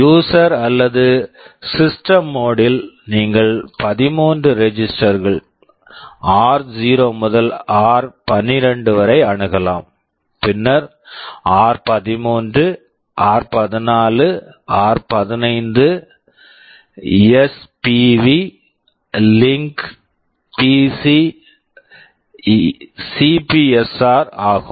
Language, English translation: Tamil, In the in the user or the system mode, you have access to the 13 registers r0 to r12, then r13, r14, r5, spv, link, PC, CPSR